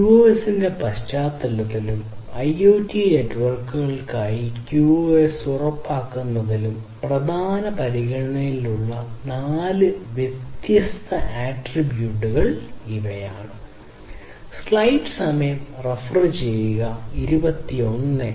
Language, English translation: Malayalam, These are the 4 different attributes which are of prime consideration in the context of QoS and using and ensuring QoS for IoT networks